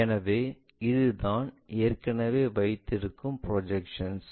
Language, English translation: Tamil, So, this is the projection what we have already